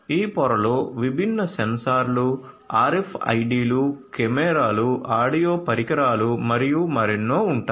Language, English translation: Telugu, This will consist of this layer will consist of different sensors RFIDs, cameras, audio devices and many more